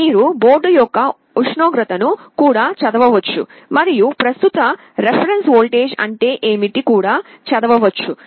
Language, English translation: Telugu, You can read the temperature of the board also and also you can read, what is the current reference voltage